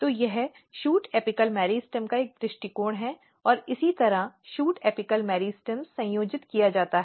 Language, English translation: Hindi, So, this is a view of shoot apical meristem and this is how shoot apical meristems are organized